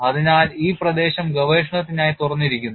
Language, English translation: Malayalam, So, this area is open for research